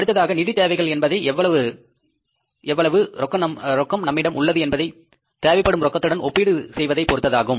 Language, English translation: Tamil, Next thing is financing requirements depend on how the total cash available compares with the total cash needed